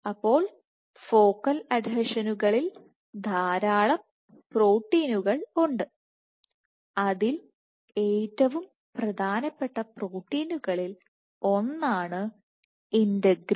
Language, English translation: Malayalam, So, there are lots of proteins which are present in focal adhesions and so one of the most important proteins is integrin